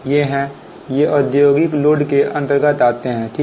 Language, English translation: Hindi, these are, these are following under industrial loads